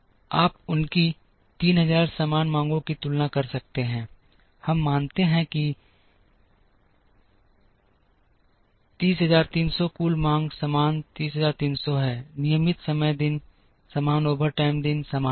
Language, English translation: Hindi, You can compare this 3000 same demands, we consider 30300 is the total demand same 30300, regular time days are the same overtime days are the same